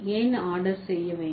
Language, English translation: Tamil, So, then why I ordering, right